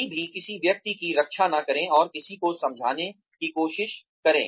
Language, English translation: Hindi, Never act a person's defenses, and try to explain, someone to themselves